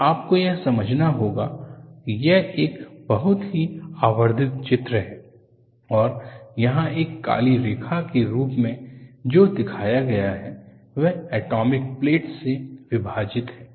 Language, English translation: Hindi, So you will have to understand, that this is a very highly magnified picture, and what is shown as a black line here is, splitting apart of atomic planes